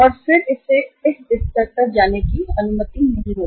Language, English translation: Hindi, And then it will not be allowed to go up to this level